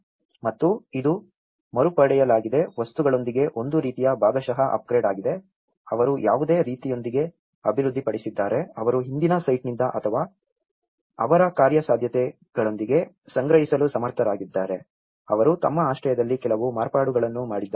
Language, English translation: Kannada, And also, this is a kind of partial upgrade with reclaimed materials they have the developed with the kind of whatever, they have able to procure from the past site or with their feasibilities, they have made some modifications to their shelters